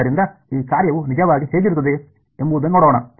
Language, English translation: Kannada, So, let us see what it what this function actually looks like